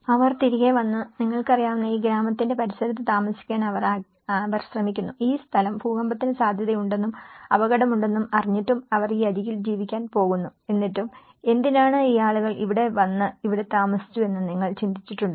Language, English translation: Malayalam, And they came back and they try to settle in the you know, vicinity of this village, despite of knowing that this place is prone to earthquakes and there is a danger, they are going to live on this edge conditions but still, why do you think that these people have come and stayed here back